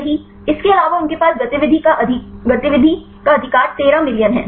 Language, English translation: Hindi, Also they have the 13 million right the activity